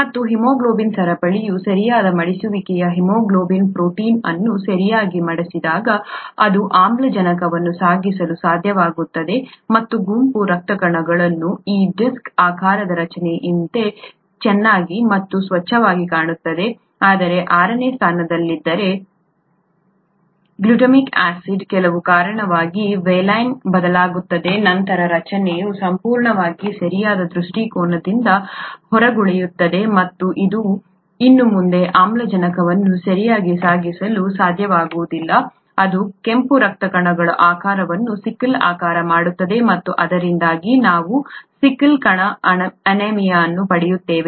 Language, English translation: Kannada, And if the appropriate folding of the haemoglobin chain leads to the haemoglobin protein when it folds properly, then it is able to carry oxygen and the red blood cells looks nice and clean like this disc shaped structure, whereas if in the sixth position the glutamic acid gets changed to valine for some reason, then the structure entirely goes out of proper orientation and it is no longer able to carry oxygen properly, not just that it makes the shape of the red blood cells sickle shaped, and we get sickle cell anaemia because of this